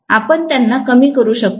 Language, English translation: Marathi, Can we minimise them